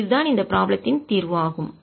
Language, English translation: Tamil, so that is the solution of this problem